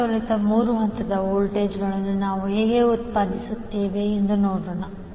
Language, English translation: Kannada, So, let us see how we generate balance 3 phase voltages